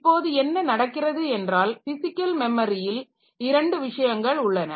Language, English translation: Tamil, So, here what happens is that this physical memory, so we have got two things